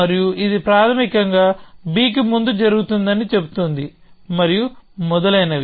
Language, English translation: Telugu, And this basically says that a happen before b and so on and so forth